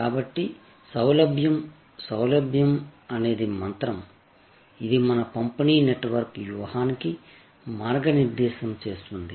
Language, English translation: Telugu, So, convenience, convenience, convenience is the mantra, which will guide our distribution network strategy